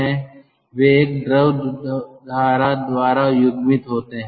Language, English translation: Hindi, they are coupled by a fluid stream